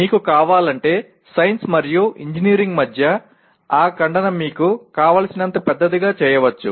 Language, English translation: Telugu, If you want you can make that intersection between science and engineering as large as you want